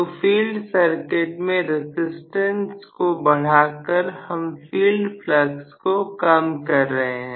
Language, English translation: Hindi, So, increasing by increasing the field circuit resistance we are reducing the field flux